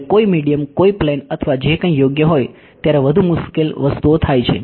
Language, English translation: Gujarati, The more difficult things happen when there is some medium some aircraft or whatever is there right